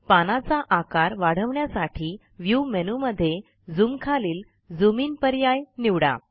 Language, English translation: Marathi, So lets zoom into the page by clicking on View Zoom and Zoom in